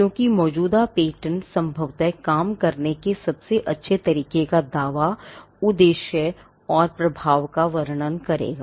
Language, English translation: Hindi, Because most likely existing patent would claim the best method of it is working would describe it is object and the impact too